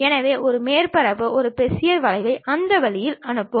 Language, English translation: Tamil, So, pass a surface a Bezier curve in that way